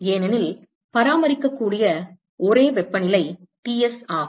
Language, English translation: Tamil, Because the only temperature which can be maintained is Ts